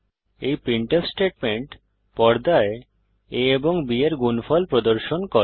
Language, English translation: Bengali, This printf statement displays the product of a and b on the screen